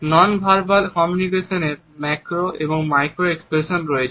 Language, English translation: Bengali, Nonverbal aspects of communication have macro as well as micro expressions